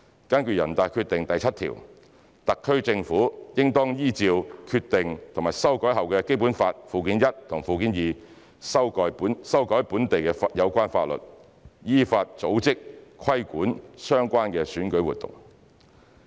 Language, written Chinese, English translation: Cantonese, 根據《決定》第七條，特區政府應當依照《決定》和修改後的《基本法》附件一和附件二，修改本地有關法律，依法組織、規管相關選舉活動。, According to the seventh article of the Decision the SAR Government shall amend relevant local laws and organize and regulate election activities in accordance with the Decision and the amended Annexes I and II to the Basic Law